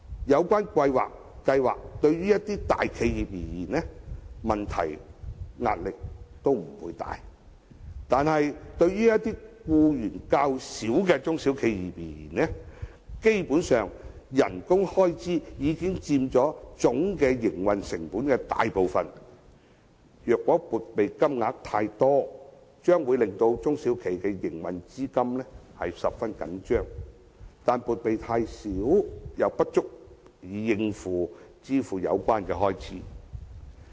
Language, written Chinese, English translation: Cantonese, 有關計劃對大企業而言，問題及壓力都不算大，但對僱員較少的中小企而言，基本上薪金開支已經佔其總營運成本的大部分，撥備金額太大，將會令中小企的營運資金十分緊絀，但撥備金額太小，又不足以應付有關開支。, For big corporations the problem and impact of this measure will not be too great . But for SMEs which only employ a small number of employees and salary costs already take up a large portion of total operation cost if the amount of provision set aside is too big SMEs will not have sufficient operating capital but if the provision is too small it may not be able to cover all the expenses